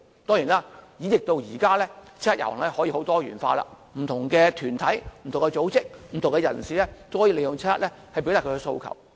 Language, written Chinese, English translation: Cantonese, 當然，演繹至今，七一遊行已變得很多元化，不同團體、組織和人士也可以利用七一遊行來表達訴求。, This is the most important meaning of the 1 July march . Of course the 1 July march has evolved with time and now it has become more diversified with different organizations bodies and individuals taking part to express their aspirations